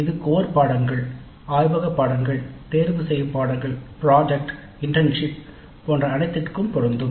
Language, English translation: Tamil, It is applicable to all academic activities including core courses, laboratory courses, elective courses, project work, internship and so on